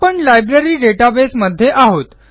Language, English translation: Marathi, We are in the Library database